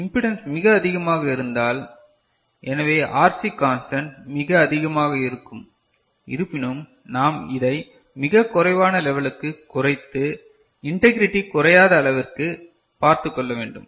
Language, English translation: Tamil, Though the impedance is very high, so RC constant will be very high, but still we must ensure that it does not fall to that level that the integrity is lost, is it ok